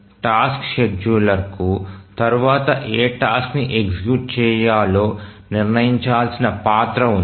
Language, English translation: Telugu, So, it is the task scheduler whose role is to decide which task to be executed next